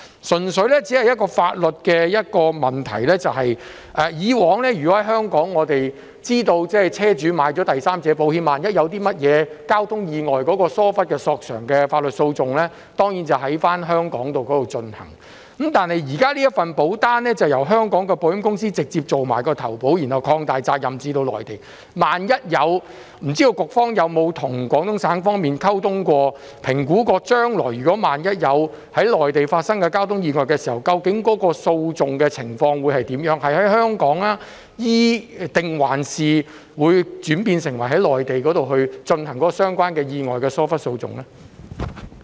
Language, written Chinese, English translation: Cantonese, 當中有一個純粹法律上的問題，我們知道在香港，車主購買了第三者保險，萬一發生交通意外，疏忽索償的法律訴訟當然會在香港進行，但現時這份保單則由香港的保險公司直接負責承保，然後把責任擴大至涵蓋內地，不知道局方有否與廣東省方面進行溝通和評估，研究將來萬一在內地發生交通意外時，究竟會如何處理相關的訴訟，會在香港還是在內地進行與意外相關的疏忽訴訟呢？, We understand that car owners are required to take out third - party insurance policies in Hong Kong and the legal proceedings for negligence claims will of course be conducted in Hong Kong in the event of a traffic accident . Now that such insurance policies are directly underwritten by Hong Kong insurers with the coverage of liability being extended to cover that in the Mainland . I wonder if the Bureau has liaised and assessed with the Guangdong Province to study how the relevant litigation will be handled in case that a traffic accident occurs in the Mainland in the future and whether the negligence litigation in relation to the accident will be conducted in Hong Kong or in the Mainland?